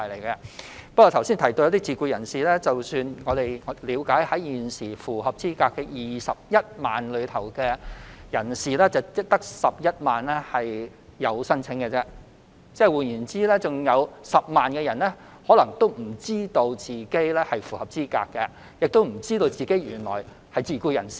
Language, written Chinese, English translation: Cantonese, 剛才提到自僱人士，根據我們了解，在現時符合資格的21萬人當中，只有11萬人提出申請，換言之，還有10萬人可能不知道他們符合資格，也不知道他們原來是自僱人士。, Regarding SEPs mentioned earlier as we understand it among the 210 000 persons eligible for the subsidy only 110 000 have applied . In other words 100 000 persons may not be aware of their eligibility or their status as SEPs